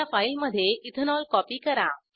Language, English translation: Marathi, Copy Ethanol into a new file